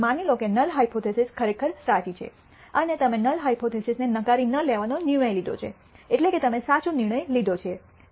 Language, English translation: Gujarati, Suppose the null hypothesis is actually true and you have made a decision to not reject the null hypothesis which means you have made the correct decision